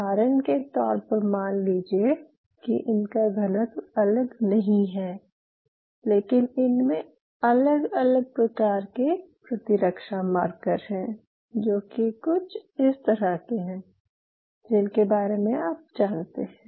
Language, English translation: Hindi, Now say for example, they do not have different densities to follow, then if they have different kind of immune markers, something like this and you have an idea that these are the immune markers which are present there